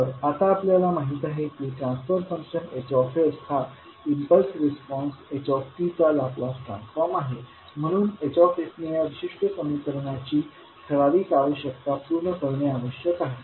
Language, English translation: Marathi, Now since the transfer function h s is the laplus transform of the impulse response h t this is what we discussed, so hs must meet the certain requirement in order for this particular equation to hold